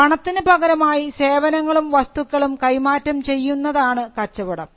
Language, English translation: Malayalam, So, we understand it as an exchange, of goods and services for money or consideration